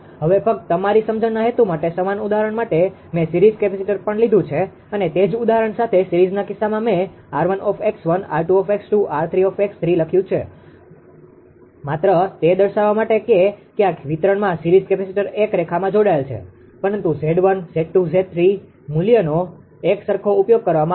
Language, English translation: Gujarati, Now with for the same example just for the purpose of your understanding, what I will do for the same example I have taken a series capacitor also and in the case of series with the same example I have written r 1, x1, r 2, x 2, r 3, x 3 just to show that series capacitors somewhere in distribution line connected, but same Z 1, Z 2, Z 3 value will be used identical thing